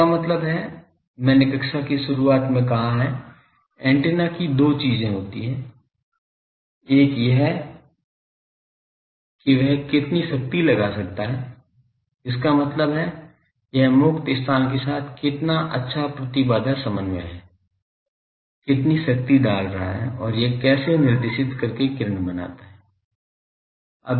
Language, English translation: Hindi, That means, I have say that the beginning of the class that antennas two things, one is how much power it is able to put that means, how good impedance matching it is doing with the free space how much power it is putting and, another is how directed it can make its beam